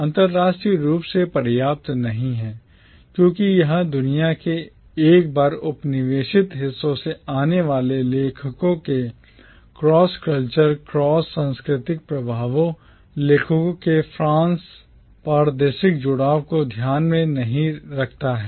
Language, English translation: Hindi, Not international enough because it did not take into account the cross cultural influences and the cross territorial affiliations of the authors coming from the once colonised parts of the world